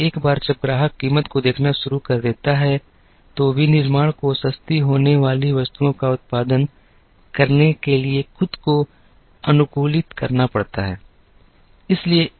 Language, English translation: Hindi, Once the customer starts looking at price, manufacturing also has to adapt itself to produce items that are affordable